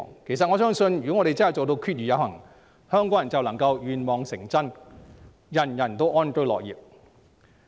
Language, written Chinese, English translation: Cantonese, 其實我相信如果我們真正做到"決而有行"，香港人便能願望成真，人人安居樂業。, I really believe that if we can act on determinations after deliberation then the wishes of Hong Kong people will come true and everybody can live in peace and work with contentment